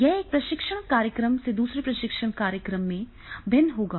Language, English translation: Hindi, It will vary from the one training program to the another training program